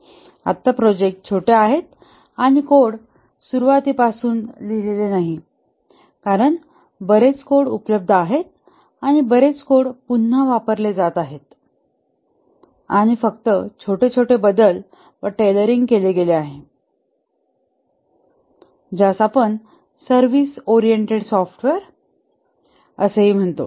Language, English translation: Marathi, Now the projects are short and the code is not written from scratch because lot of code is available, lot of code is being reused and only small modifications and tailoring is done which we called as service oriented software